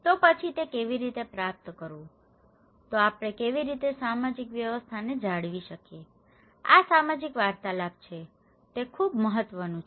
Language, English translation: Gujarati, So, then how to achieve that one, that how we can maintain that social order, these social interactions okay, that is very important